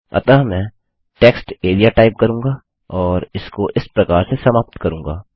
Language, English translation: Hindi, So I will type textarea and end it like that